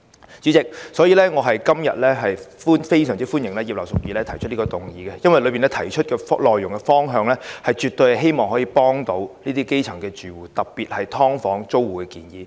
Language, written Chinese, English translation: Cantonese, 因此，主席，我今天非常歡迎葉劉淑儀議員提出這項議案，因為當中提出的內容及方向絕對可以協助基層住戶，特別是"劏房"租戶。, Hence President I very much welcome the motion proposed by Mrs Regina IP today because its content and direction can definitely assist grass - roots households particularly tenants of subdivided units